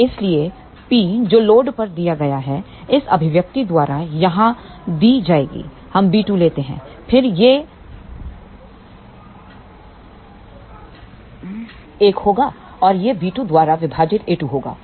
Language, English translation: Hindi, So, hence we deliver to the load will be given by the expression here we take b 2 square outside, then this will be 1 and this will be a 2 divided by b 2